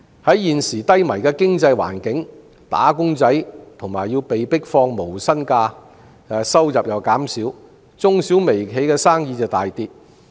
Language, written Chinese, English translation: Cantonese, 在現時低迷的經濟環境下，"打工仔"或要被迫放無薪假，收入減少，中、小和微型企業亦生意大跌。, In face of the present economic recession wage earners may be forced to take no pay leave and their incomes may fall while micro small and medium enterprises MSMEs may suffer a business slump